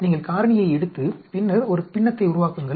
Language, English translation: Tamil, You take the factorial and then, make a fraction